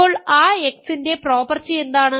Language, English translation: Malayalam, Now, what is the property of that x